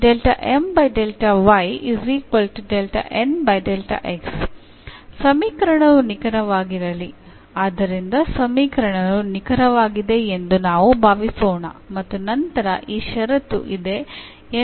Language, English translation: Kannada, So, let the equation be exact, so we assume that the equation is exact and then we will prove that this condition holds